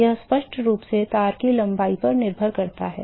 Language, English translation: Hindi, Obviously depends upon length of the wire right